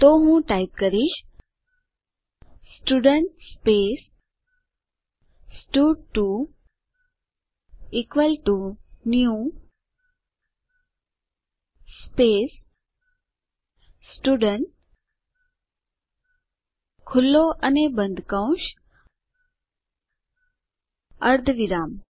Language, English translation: Gujarati, So, I will type Student space stud2 equal to new space Student opening and closing brackets semi colon